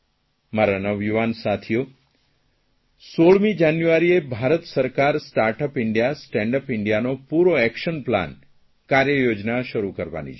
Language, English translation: Gujarati, My dear young friends, the government will launch the entire action plan for "Startup India, Standup India on 16th January